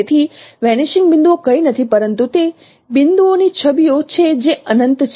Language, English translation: Gujarati, So vanishing points are nothing but no images of points which are at infinity